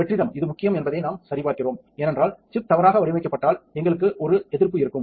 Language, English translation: Tamil, So, we check that the vacuum is this is important because if the chip is misaligned, then we will have a resist